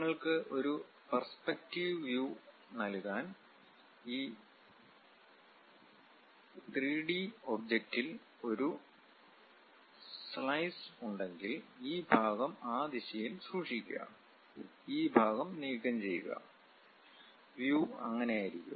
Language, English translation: Malayalam, Just to give you a perspective view, this 3 D object if we are having a slice and keeping this section in that direction, removing this part; then the view supposed to be like that